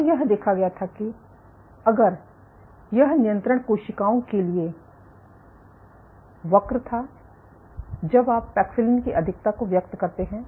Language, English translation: Hindi, And what was observed, if this was the curve for control cells, when you over express paxillin